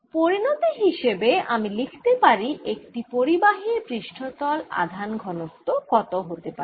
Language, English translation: Bengali, as a consequence, i can also write what this surface charge density will be on a conductor